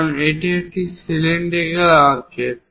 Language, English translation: Bengali, So, it is a cylindrical one